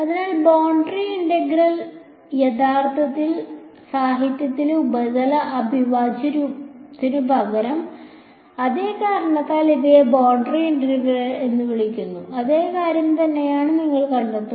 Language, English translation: Malayalam, So, boundary integral actually also in the literature instead of surface integral you will find that the these are called boundary integrals for the same reason remain the same thing